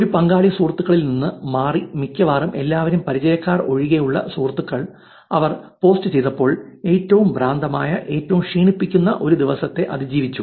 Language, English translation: Malayalam, One participant changed from friends to which is probably all of them, friends except acquaintances, when she posted survived one of the craziest, most exhausting days ever